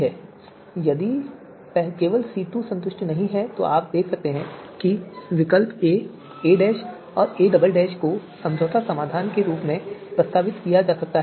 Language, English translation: Hindi, So only C2 is not satisfied then you can see that you know alternatives a, and a dash, and a double dash can be proposed as the compromise you know solution